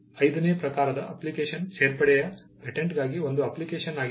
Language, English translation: Kannada, The fifth type of application is an application for a patent of addition